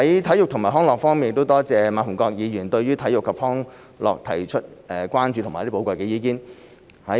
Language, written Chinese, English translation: Cantonese, 體育及康樂我多謝馬逢國議員對體育及康樂提出的關注和寶貴意見。, Sports and recreation I would like to thank Mr MA Fung - kwok for raising his concerns and valuable views about sports and recreation